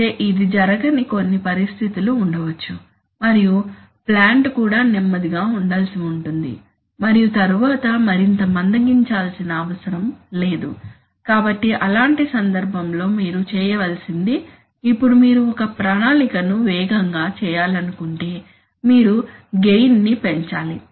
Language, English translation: Telugu, But there may be some situations where this is not the case and the plant itself is supposed to be slow and then slowing this further is not desirable, so in such a case what you have to do is now if you want to make a plan faster, you will have to increase the gain